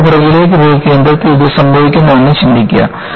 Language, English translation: Malayalam, Just, go back and think was it happening, at the center